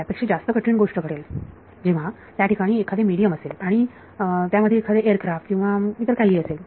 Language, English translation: Marathi, The more difficult things happen when there is some medium some aircraft or whatever is there right